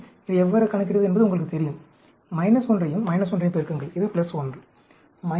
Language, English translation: Tamil, You know how to calculate this; multiply minus 1 minus 1 which is plus 1